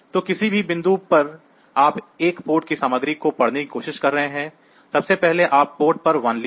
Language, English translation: Hindi, So, any point you are trying to read the content of a port; first you wrote 1 to the port